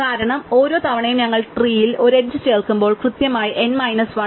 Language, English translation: Malayalam, Because, we have to keep doing each time we add an edge to our tree, there are going to be exactly n minus 1